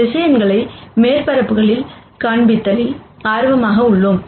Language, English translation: Tamil, We are always interested in projecting vectors onto surfaces